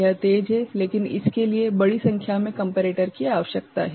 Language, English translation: Hindi, It is fast, but it requires large number of comparators